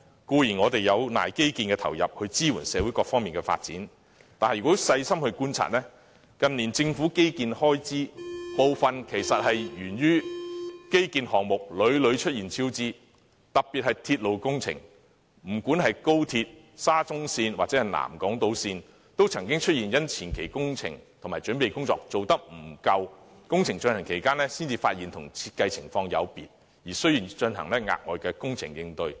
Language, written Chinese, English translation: Cantonese, 固然，我們有賴基建的投入來支援社會各方發展，但如果細心觀察，近年政府的基建開支增加其實源於項目屢屢出現超支，特別是鐵路工程，不論是高鐵、沙中線或南港島線，都曾因為前期工程和準備工作不足，在工程進行期間才發現有設計問題，需要進行額外工程應對。, It is true that the various aspects of social development rest on our infrastructure investment . But if we look closer the increase in Governments infrastructure expenditure in recent years comes as a result of the repeated overspending in works projects . Railway projects in particular be it the Guangzhou - Shenzhen - Hong Kong Express Rail Link the MTR Shatin to Central Link or the South Island Line have seen during the construction stage unanticipated design problems